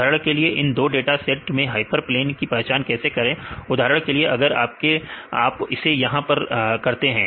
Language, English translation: Hindi, For example, in this 2 sets of data how to identify the hyperplane right we can we can plane right for example, if you do it here right